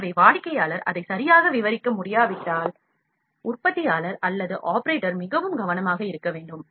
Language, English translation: Tamil, So, if the customer is not able to describe it properly; the manufacturer or the operator has to be very careful